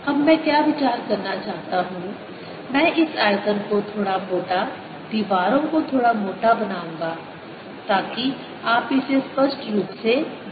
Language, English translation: Hindi, what i want to consider now i'll make this volume little thicker, so that the walls little thicker, so that you see it clearly